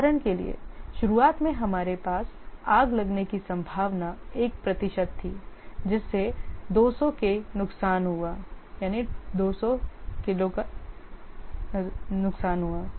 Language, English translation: Hindi, For example that initially we had 1% chance of a fire causing 200k damage